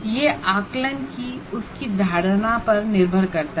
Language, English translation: Hindi, It depends on his perception of the assessment